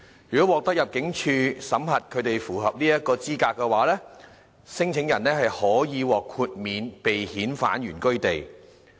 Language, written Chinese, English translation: Cantonese, 如獲得入境事務處審核他們符合酷刑聲請的資格，聲請者可獲豁免被遣返原居地。, After assessment by the Immigration Department ImmD if they are qualified for lodging torture claims the claimants can be exempt from being repatriated to their home countries